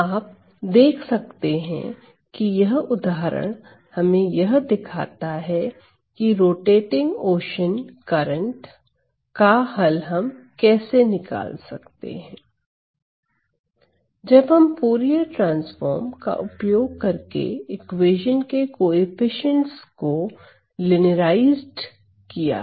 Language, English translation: Hindi, So, you can see that this particular example shows us how to calculate the solution to this rotating ocean currents in which we have linearized the coefficients of the equation using our Fourier transform